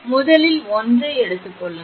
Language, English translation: Tamil, Take the first one